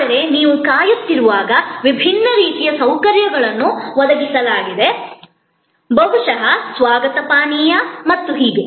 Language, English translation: Kannada, But, while you are waiting, the different kind of amenities provided, maybe a welcome drink and so on